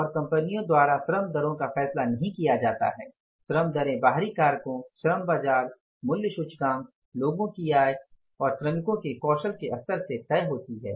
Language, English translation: Hindi, When the labour rates go up and labour rates are not decided by the companies, labour rates are decided by the external factors, labour market, price index, income of the people and the level of the, say, skill level of the workers